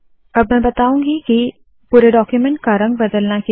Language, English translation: Hindi, Now what I am going to show is how easy it is to change the color of the entire document